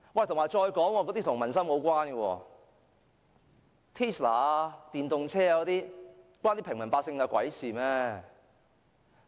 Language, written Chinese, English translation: Cantonese, 再說這措施跟民生無關，試問 Tesla 電動車與平民百姓有何關係？, Besides this measure has nothing to do with peoples livelihood . How is Tesla electric vehicle got to do with the general public?